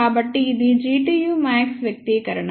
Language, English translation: Telugu, So, this is the expression for G tu max